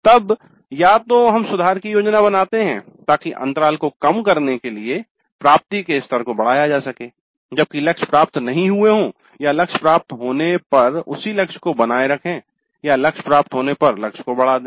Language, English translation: Hindi, So, either we plan improvements in order to raise the attainment levels to reduce the gap when the targets have not been attained or retain the same target when the target has been attained or increase the target when the target has been attained